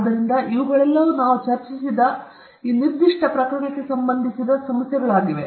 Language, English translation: Kannada, So, all these are some of the specific issues pertaining to this particular case, which we have discussed